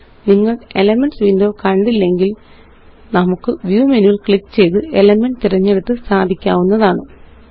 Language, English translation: Malayalam, If you dont see the Elements window, we can access it by clicking on the View menu and then choosing Elements